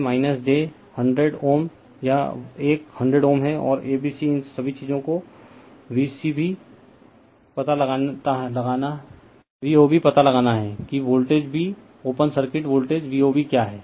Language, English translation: Hindi, So, this is minus j 100 ohm this is one 100 ohm and A B C all these things are given you have to find out V O B that what is the voltage b open circuit voltage V O B